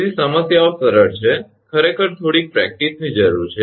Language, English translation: Gujarati, So, problems are simple actually just little bit practice is necessary